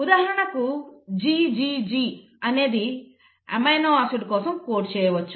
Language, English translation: Telugu, For example you will have say GGG, can code for an amino acid